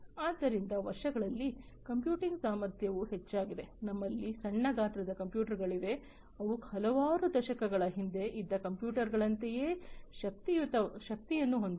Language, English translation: Kannada, So, computing capacity had also increased so, over the years we have now, you know, small sized computers that have the same power like the computers that were there several decades back